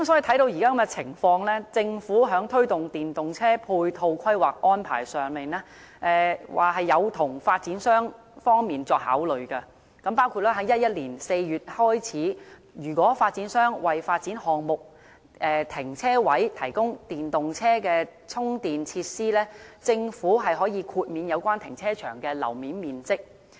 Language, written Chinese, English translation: Cantonese, 看到現時的情況，政府在推動電動車的配套規劃和安排上，是有從發展商方面作考慮的，包括從2011年4月開始，如果發展商為發展項目的停車位提供電動車充電設施，政府可以豁免有關停車場的樓面面積。, The present situation shows that the Government has taken developers into consideration in its planning and arrangement for ancillary facilities to promote EVs . Such arrangement includes starting from April 2011 developers who provide EV charging facilities for the parking spaces in their development projects will be granted exemption on the floor area of the car parks